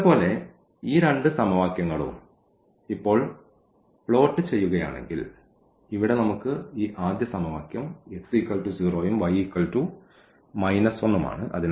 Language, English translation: Malayalam, So, if we plot now these two equations as earlier; so, we have this first equation here where x is 0 and then y is minus 1